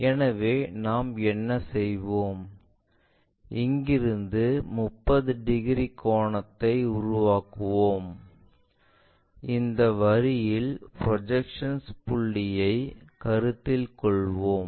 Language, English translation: Tamil, So, what we will do is, from here we will make a 30 degree angle let us consider the point extreme point which is projected onto this line